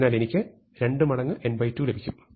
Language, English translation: Malayalam, So, I get 2 times n by 2, so that is n plus n, so I get 2 n